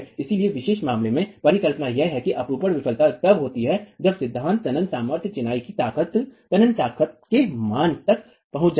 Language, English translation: Hindi, The hypothesis in this particular criterion is that sheer failure is occurring when the principal tensile stress reaches a value of the tensile strength of masonry